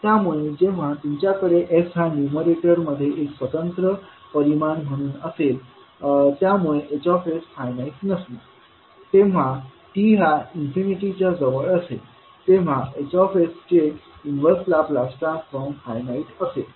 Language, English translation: Marathi, So when you have s in the numerator as an independent quantity in h s this will not allow h s to be finite the inverse of the inverse laplace of h s to be finite when t tends to infinity